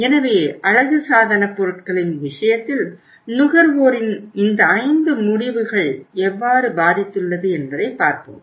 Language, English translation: Tamil, So if you look at this, in case of the cosmetics how these 5 decisions of the consumers have affected